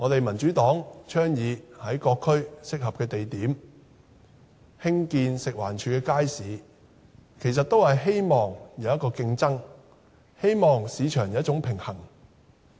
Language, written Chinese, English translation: Cantonese, 民主黨倡議在各區合適的地點興建食物環境衞生署的街市，其實也是希望有競爭，希望市場有一種平衡。, The Democratic Party advocates that markets operated by the Food and Environmental Hygiene Department FEHD should be built at suitable locations in various districts . Actually it is hoped that competition and counterbalance can be introduced into the market